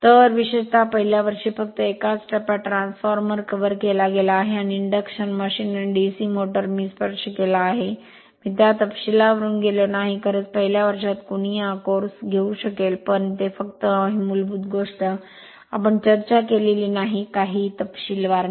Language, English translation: Marathi, So, particularly at the first year level that is a single phase transformer ha[s] has been covered right and induction machine and DC motor just just just, I have touched, I have not gone through the details considering that, you you may be in the first year right or anybody can take this course, but it is just basic thing, we have discussed right not nothing is in detail